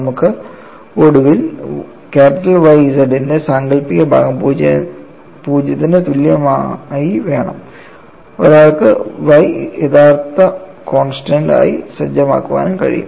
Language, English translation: Malayalam, We finally want imaginary part of Y z equal to 0, one can also a set Y as a real constant